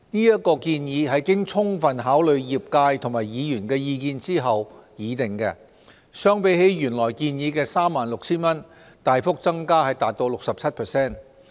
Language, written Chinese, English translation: Cantonese, 這建議是經充分考慮業界和議員的意見後擬定，相比起原來建議的 36,000 元，大幅增加達 67%。, This proposal was made after sufficient consideration of the industrys and Members views with the limit remarkably increased by 67 % when compared with the original proposal of 36,000